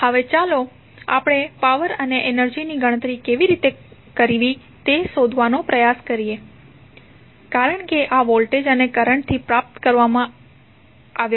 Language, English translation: Gujarati, Now, let us try to find out how to calculate the power and energy because these are derived from voltage and current